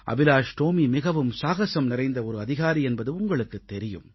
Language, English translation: Tamil, You know, AbhilashTomy is a very courageous, brave soldier